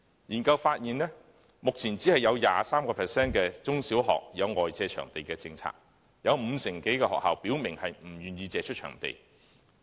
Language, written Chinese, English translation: Cantonese, 研究發現，目前只有 23% 的中、小學有外借場地的政策，有五成多的學校表明不願意借出場地。, According to the findings of the study only 23 % of the primary and secondary schools currently have the policy of leasing out venues but more than 50 % of them have indicated an unwillingness to do so